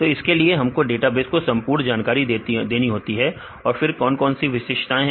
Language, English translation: Hindi, So, we need to give the complete details of this in database then we then what are other characteristics